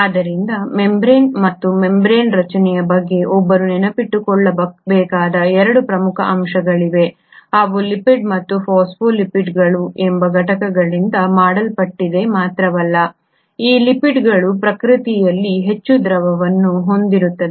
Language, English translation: Kannada, So there are 2 major aspects one has to remember about membrane and membrane structure is that not only are they made up of lipid and units called phospholipids, these lipids are highly fluidic in nature